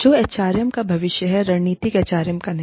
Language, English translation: Hindi, Which is the future of HRM, not strategic HRM